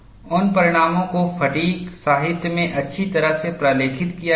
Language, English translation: Hindi, Those results are well documented in fatigue literature